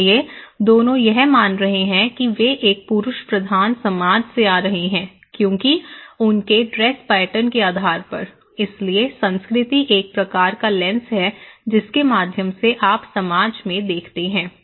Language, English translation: Hindi, So, both of them is perceiving that they are coming from a male dominated society because based on their dress pattern, okay so, culture is a kind of lens through which you look into the society how it is okay